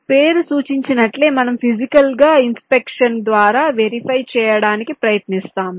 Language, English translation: Telugu, as the name implies, we are trying to verify something through physical inspection